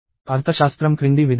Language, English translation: Telugu, The semantics is as follows